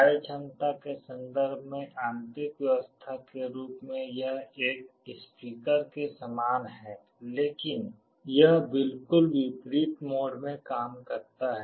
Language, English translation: Hindi, In terms of functionality internally the arrangement is very similar to that of a speaker, but it works in exactly the opposite mode